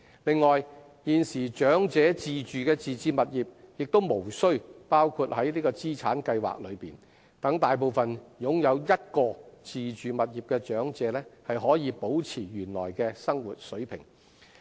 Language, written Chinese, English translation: Cantonese, 此外，現時長者自住的自置物業亦無需包括在資產計算內，讓大部分擁有1個自住物業的長者可保持原來的生活水平。, Moreover owner - occupied property should not be factored into the calculation of their assets so that most elderly people who own one self - occupied property can maintain their original standard of living